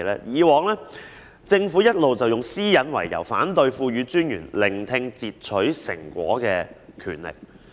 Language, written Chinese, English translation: Cantonese, 以往政府一直以私隱為由，反對賦予專員聆聽截取成果的權力。, The Government had all along refused to grant the Commissioner the power to listen to interception products for reasons of privacy